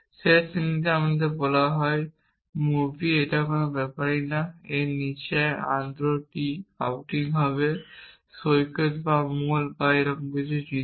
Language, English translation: Bengali, We are said movie in the last class it does naught matter and below this would be ando tree outing let say beach or moll and things like that